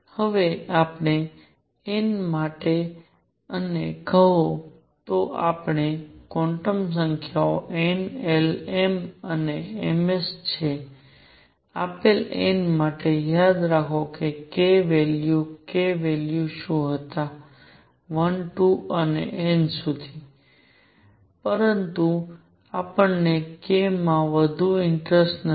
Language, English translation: Gujarati, Now, for a given n and say for, So we have quantum numbers n l m and m s, for a given n, remember what were the k values k values were 1 2 and up to n, but we are no more interested in k